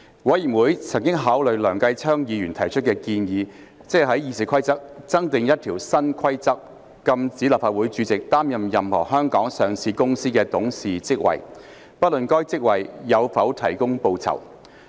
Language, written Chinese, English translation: Cantonese, 委員會曾考慮梁繼昌議員提出的建議，即在《議事規則》增訂一項新規則，禁止立法會主席"擔任任何香港上市公司的董事職位，不論該職位有否提供報酬"。, The Committee considered Mr Kenneth LEUNGs proposal to add a new rule to the Rules of Procedure to prohibit the President from acting as director of any listed company in Hong Kong whether the directorship is paid or unpaid